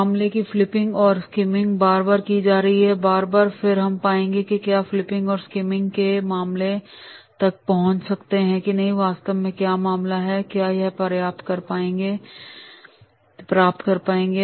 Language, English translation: Hindi, Flipping and scheming of the case going again and again and again and then we will find that is the we have reached to the flipping and scheming of the case that what exactly the case is there just we will be able to get